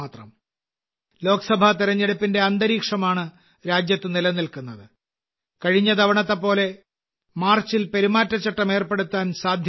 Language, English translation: Malayalam, The atmosphere of Lok Sabha elections is all pervasive in the country and as happened last time, there is a possibility that the code of conduct might also be in place in the month of March